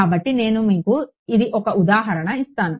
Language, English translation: Telugu, So, let me give you an example this is a